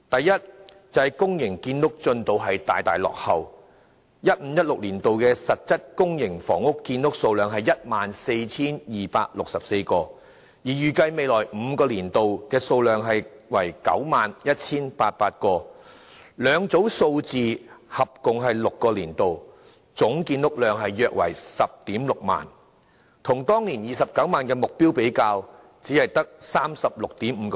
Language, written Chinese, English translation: Cantonese, 2015-2016 年度實質公營房屋建屋數量是 14,264 個單位，而預計未來5個年度的數量為 91,800 個，兩組數字合共6個年度，總建屋量約為 106,000 個，只佔當年29萬個的建屋目標的 36.5%。, The actual total public housing production during 2015 - 2016 is 14 264 flats while that of the coming five - year period is 91 800 . Adding up both the total public housing production for these six years amounted to 106 000 units representing only 36.5 % of the production of that year although the production amount of another four years has yet to be included